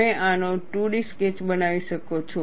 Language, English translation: Gujarati, You can make a 2 D sketch of this